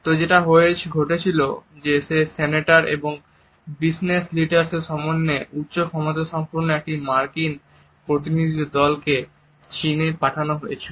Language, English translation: Bengali, It so, happened that a high powered American delegation which consisted of their senators and business leaders was sent to China to finalize certain business deals